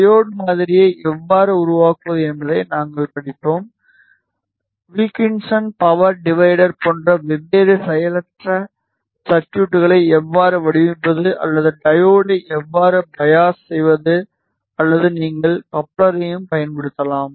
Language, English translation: Tamil, We studied how to model the diode; how to bias the diode how to design different passive circuits like Wilkinson power divider or you can use coupler as well